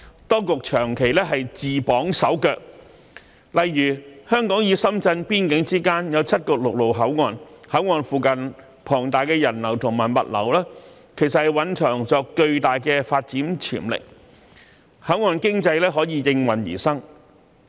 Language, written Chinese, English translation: Cantonese, 當局長期自綁手腳，例如香港與深圳邊境之間有7個陸路口岸，口岸附近龐大的人流和物流其實蘊藏着巨大的發展潛力，口岸經濟可以應運而生。, For a long time the authorities have tied their own hands and feet . For example there are seven land ports along the boundary between Hong Kong and Shenzhen . The enormous flow of people and goods near these ports actually contain huge development potential for developing port economy